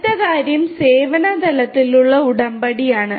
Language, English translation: Malayalam, The next thing is that Service Level Agreement